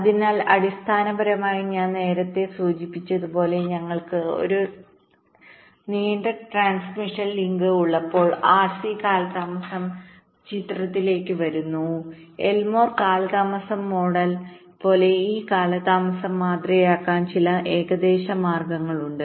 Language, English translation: Malayalam, so basically, as i mentioned earlier, that when we have a long transmission link, the rc delay comes into the picture and there are some approximate ways to model this delays, like the lmo delay model